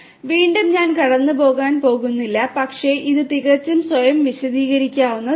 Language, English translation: Malayalam, So, again I am not going to go through, but this is quite self explanatory